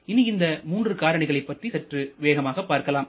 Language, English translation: Tamil, So, let us quickly talk about these three losses